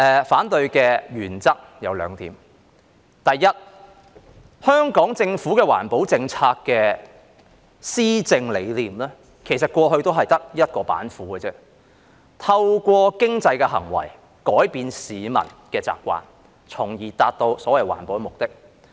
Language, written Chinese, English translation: Cantonese, 反對的原則有兩點，第一，香港政府的環保政策的施政理念，其實過去只有一道板斧，也就是透過經濟行為改變市民的習慣，從而達到所謂環保的目的。, Firstly insofar as its governing philosophy for green policies is concerned the Hong Kong Government actually knows only one method and that is changing the peoples habits through economic manoeuvres to achieve the objective of environmental protection so to speak